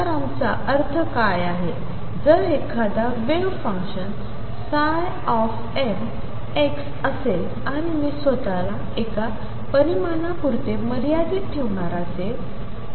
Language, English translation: Marathi, So, what we mean by that is, if there is a wave function psi m x and I am going to restrict myself to one dimension